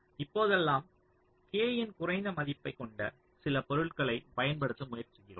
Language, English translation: Tamil, so nowadays we try to use some material ah which has a lower value of k